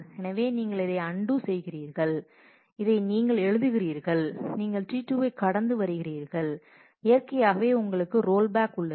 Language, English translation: Tamil, So, you will undo this, this is what you write you come across T 2 and naturally you have rollback